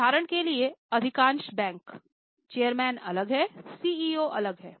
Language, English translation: Hindi, For example, most of the banks, chairman is different, CEO is different